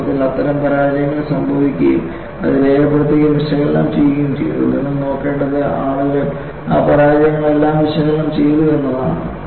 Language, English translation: Malayalam, And, in fact, such failures have happened and it has been recorded and analyzed; what you will have to look at is, people have analyzed all those failures